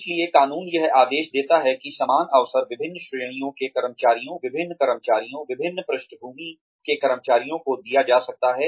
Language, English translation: Hindi, So, laws mandate that, equal opportunity be afforded to, or be given to, various categories of employees, various employees from various backgrounds